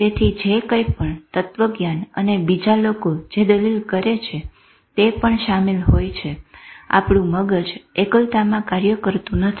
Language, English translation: Gujarati, So whatever philosophy and other people may argue, our mind does not work in isolation